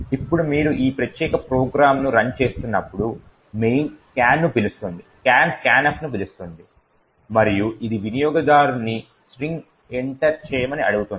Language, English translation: Telugu, Now when you run this particular program main called scan, scan calls scanf and it prompts the user to enter a string